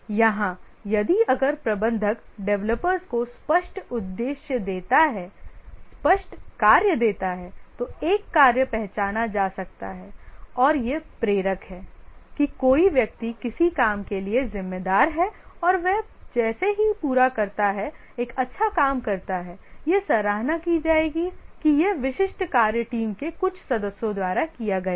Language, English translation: Hindi, Here if the manager gives clear objective, clear work to the developers, then there is a task identity and this is a motivator that somebody is responsible for some work and as he completes does a good work, it will be appreciated that this specific work is done by certain team member